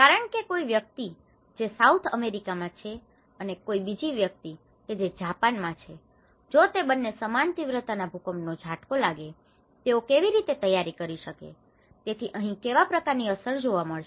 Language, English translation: Gujarati, Because someone who is in South America and someone who is in Japan, if both of them are hit by the similar magnitude of earthquake, how they are prepared, how they are prepared, so what kind of impact here, what kind of impact here